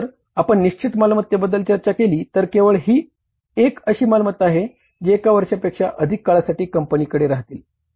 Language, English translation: Marathi, So if you talk about the fixed assets, only these are the assets which are going to stay with the firm for more than one year